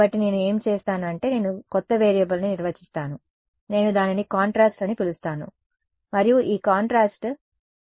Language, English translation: Telugu, So, what do I do is I define a new variable I call it contrast and that contrast is simply this epsilon r minus 1 ok